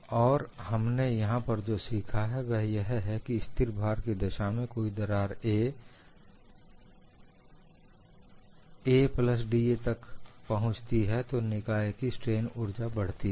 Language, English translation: Hindi, And what we have learnt here is, under constant load when there is an advancement of crack from a to a plus d a, the strain energy of the system increases